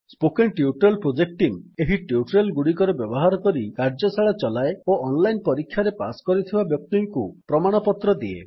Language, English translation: Odia, The Spoken Tutorial Project Team conducts workshops using spoken tutorials and Gives certificates to those who pass an online test